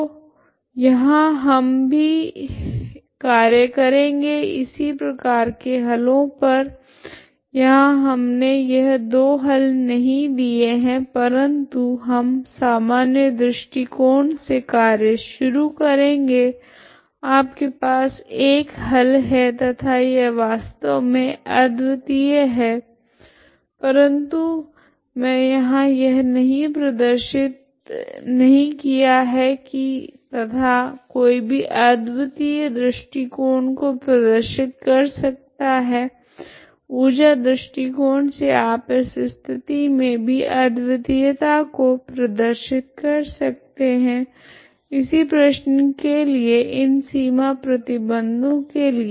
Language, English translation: Hindi, So there also we can work out similar solutions this this we have not given these two solutions but we can work out by the general argument, you have a solution and that is actually unique but I have not shown here and one can show the uniqueness uniqueness argument by the energy argument you can show the uniqueness even in this case for the for the same problem with these boundary condition, okay